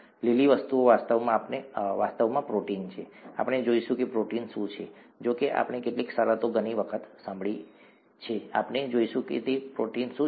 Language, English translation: Gujarati, The green things are actually proteins, we will see what proteins are, although we have heard some terms so many times, we will see what those proteins are